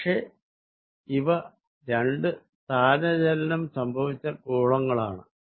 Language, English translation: Malayalam, But, these are two displaces spheres